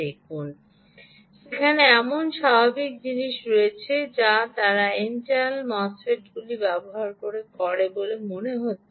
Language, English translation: Bengali, see, there is the usual thing that they seem to use n channel mosfets